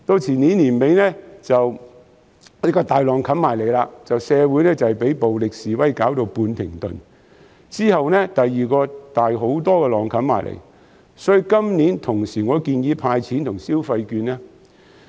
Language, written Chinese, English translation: Cantonese, 前年年底，一個巨浪湧至，社會被暴力示威弄至半停頓，之後第二個更大的浪湧過來，所以今年我建議同時"派錢"和派消費券。, At the end of the year before last a huge wave came . The community was partially halted by the violent demonstrations . It was followed by another even bigger wave